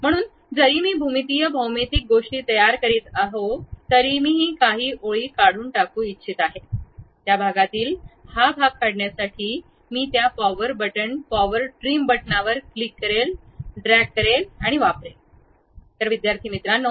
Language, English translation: Marathi, So, even though I am constructing typical geometrical things, I would like to remove some of the lines, I can use this power button power trim button to really click drag over that to remove that part of it